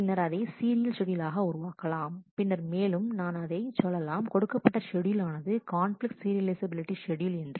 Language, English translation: Tamil, And make it into a serial schedule, and then I will say that the given schedule is a conflict serializable schedule ok